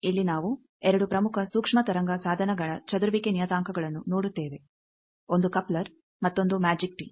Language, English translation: Kannada, Here we will see the scattering parameter of 2 very important microwave device one is Coupler another is Magic Tee